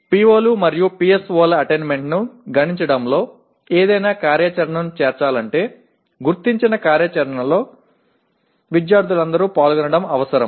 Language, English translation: Telugu, But for any activity to be included in computing the attainment of POs and PSOs it is necessary that all students participate in the identified activity